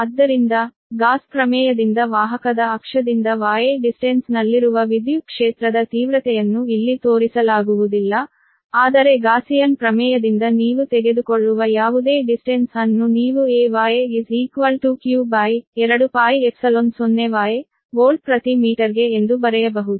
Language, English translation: Kannada, so from the gauss theorem we know that the electric field intensity at distance y, right from axis of the conductor, any distance, here it is not shown, but any distance y you take from the gaussian theorem you can write that e, y is equal to q upon two, pi, epsilon zero, y, volt per meter